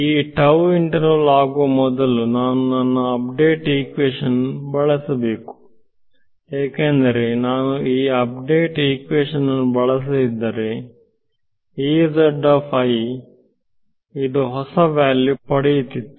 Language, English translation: Kannada, So, now, before this period of interval tau goes I should use my update equation why because, if I do not use this update equation then this guy over here E z i would have got a new value